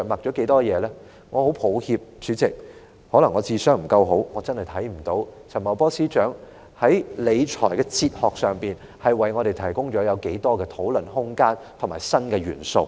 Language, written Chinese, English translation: Cantonese, 代理主席，我很抱歉，可能我的智商不夠高，我真的看不到陳茂波司長在理財哲學方面，為我們提供了多少討論空間和新元素。, Deputy Chairman I am sorry that my intelligence quotient may not be high enough but I really cannot see how much room for discussion and how many new elements FS Paul CHAN has given us in terms of fiscal philosophy